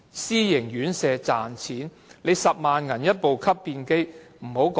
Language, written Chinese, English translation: Cantonese, 私營院舍只為賺錢，要花10萬元購買吸便機？, Private elderly homes are there to make money only so asking them to spend 100,000 on a bidet is a joke